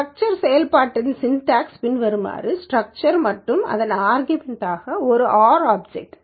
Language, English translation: Tamil, The syntax of this structure function is as follows structure and the argument it takes is an R object